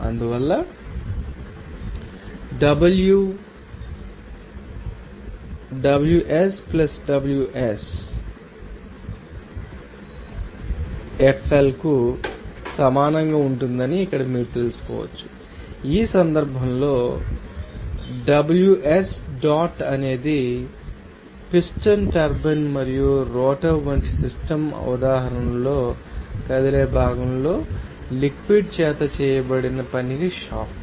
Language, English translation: Telugu, So, that is why we can you know that here that W will be equal to Ws + Wfl here in this case Ws dot is shaft to work that done by the fluid on a moving part within the system example like piston turbine and rotor